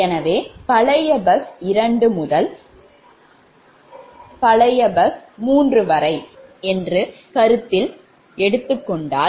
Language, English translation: Tamil, so in that case, your old bus two to old bus, three, because this bus two and three already